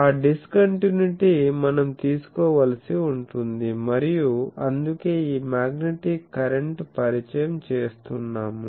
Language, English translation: Telugu, So, that discontinuity we will have to take and that is why this introduction of magnetic current